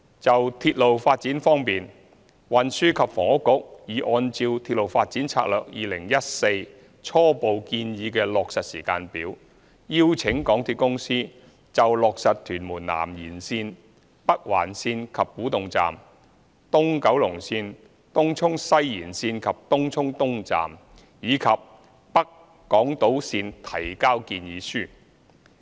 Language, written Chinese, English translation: Cantonese, 就鐵路發展方面，運輸及房屋局已按照《鐵路發展策略2014》初步建議的落實時間表，邀請港鐵公司就落實屯門南延綫、北環綫及古洞站、東九龍綫、東涌西延綫及東涌東站，以及北港島綫提交建議書。, Insofar as railway development is concerned the Transport and Housing Bureau has invited the MTR Corporation Limited MTRCL to submit proposals on Tuen Mun South Extension Northern Link and Kwu Tung Station East Kowloon Line Tung Chung West Extension and Tung Chung East Station and North Island Line according to the implementation timetable initially recommended in the Railway Development Strategy 2014